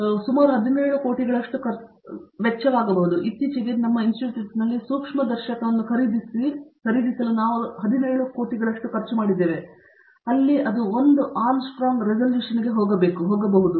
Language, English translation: Kannada, It can go up to almost like about 17 crores, we recently have bought a microscope in our Institute which costed us almost like 17 crores, where it can go up to 1 angstrom resolution